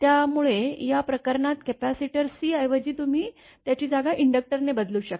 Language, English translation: Marathi, So, in this case capacitor instead of capacitor C you can you can replace this one by an inductor is the by an inductor